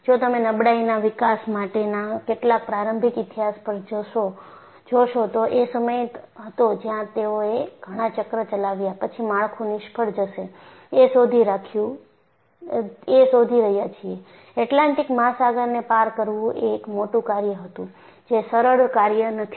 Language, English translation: Gujarati, In fact, if you look at some of the early history on fatigue development,that is the time where they were finding out after so many cycles, the structures will fail; crossing the Atlantic Ocean was a big task; it is not a simple task